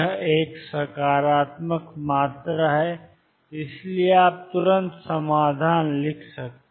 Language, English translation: Hindi, This is a positive quantity and therefore, you can immediately write the solutions